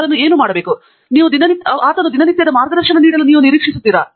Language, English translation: Kannada, So, do you expect an advisor to give a day to day guidance on what to do